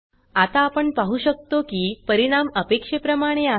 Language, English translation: Marathi, Now we can see that the result is as expected